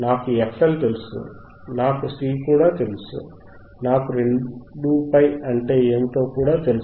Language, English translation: Telugu, I know what is f L, I know what is C, I know what is 2 pi